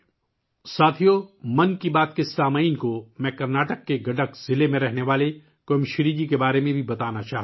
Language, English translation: Urdu, Friends, I would also like to inform the listeners of 'Mann Ki Baat' about 'Quemashree' ji, who lives in Gadak district of Karnataka